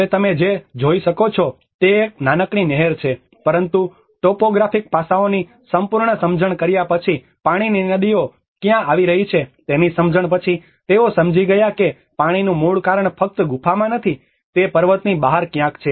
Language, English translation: Gujarati, \ \ \ Now, what you can see is a small canal, but after having a thorough understanding of the topographic aspects and after having a understanding of where the water seepages are coming, they understood the root cause of the water is not just not in the cave, it is somewhere beyond the mountain